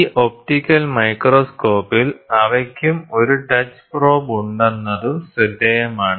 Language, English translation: Malayalam, So, in this optical microscope, it is also interesting to note that, they also have a touch probe